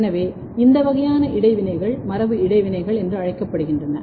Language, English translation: Tamil, So, these kinds of interactions are called genetic interactions